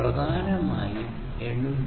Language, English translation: Malayalam, It is based on the 802